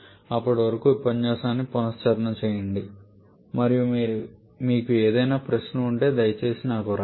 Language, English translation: Telugu, Till then revise this lecture and if you have any query please write to me, thank you